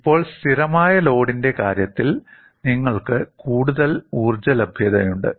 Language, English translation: Malayalam, Now, in the case of a constant load, you have more energy availability